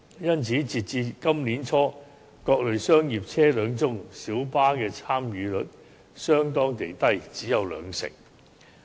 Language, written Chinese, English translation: Cantonese, 因此，截至今年年初，在各類商業車輛中，小巴的參與率相對地低，只有兩成。, Therefore as at the beginning of this year among various commercial vehicles the participation rate of minibus operators is relatively low accounting for 20 % only